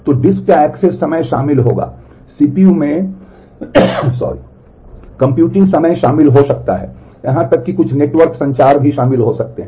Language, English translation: Hindi, So, access time of the disk will be involved, the computing time in CPU may be involved even some network communication may get involved